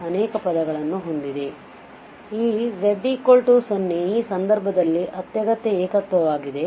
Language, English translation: Kannada, And therefore, this z equal to 0 is the essential singularity in this case